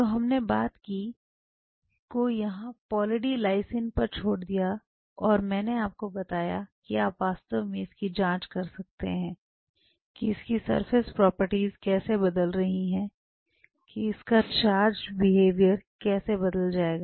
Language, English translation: Hindi, So, we left the problem here With Poly D Lysine and I told you that you can really check it out that, how it is surface properties are changing, how it is charged behavior will change